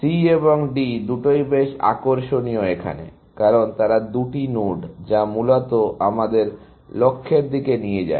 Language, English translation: Bengali, C and D is interesting, because they are the two nodes, which lead us to the goal, essentially